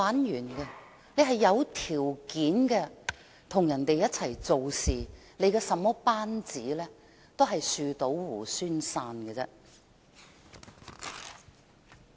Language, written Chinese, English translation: Cantonese, 如果他是有條件與別人一起做事，即使管治班子如何，最終亦只會"樹倒猢猻散"。, If his relationship with his workmates is conditional upon certain considerations then any governing team he has formed will eventually abandon him like monkeys deserting a falling tree